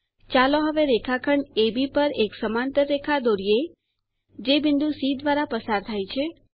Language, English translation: Gujarati, Lets now construct a parallel line to segment AB which passes through point C